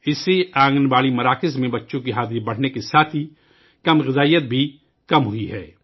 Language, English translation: Urdu, Besides this increase in the attendance of children in Anganwadi centers, malnutrition has also shown a dip